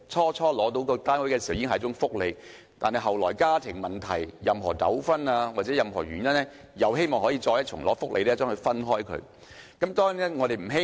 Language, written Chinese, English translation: Cantonese, 當初獲編配單位已是一種福利，但後來因為家庭問題、糾紛或其他原因，希望可以再次得到"分戶"的福利。, First of all the allocation of a PRH unit is already a benefit and then due to domestic problems or disputes or other reasons such households wish to enjoy another benefit of splitting tenancies